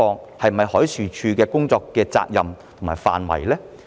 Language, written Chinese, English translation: Cantonese, 這是否海事處的工作責任及範圍？, Is this MDs responsibility and scope of work?